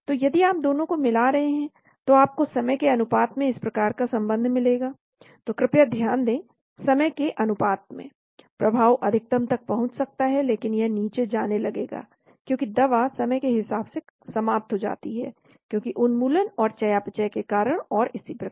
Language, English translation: Hindi, So if you combine both you may have this type of relationship as a function of time, so please note as a function of time, the effect may reach maximum but it will start going down because the drug gets eliminated as a function of time, because of elimination and because of metabolism and so on